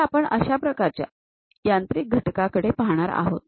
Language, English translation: Marathi, So, let us look at one such kind of machine element